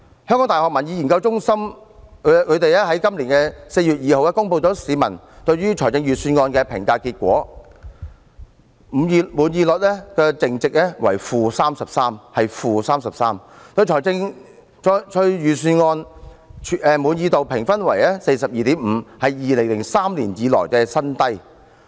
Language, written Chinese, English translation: Cantonese, 香港大學民意研究計劃在今年4月2日公布了市民對於預算案的評價結果，滿意率淨值為 -33%， 對預算案滿意度評分為 42.5， 是2003年以來的新低。, According to the findings of the survey conducted by the Public Opinion Programme of the University of Hong Kong on the Budget 2019 published on 2 April this year the net satisfaction rate stood at - 33 % and the satisfaction rate at 42.5 which was a record low since 2003